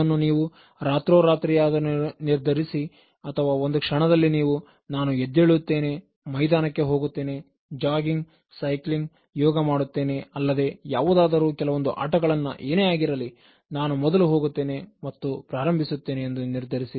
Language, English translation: Kannada, Either you need to decide overnight and then just at that fit of the moment you have to decide tomorrow morning at 5:30 I will get up and I will go to the ground, I may jog, I will do cycling, I will do yoga, whatever it is or I will play some games, but then I will just go out and then start it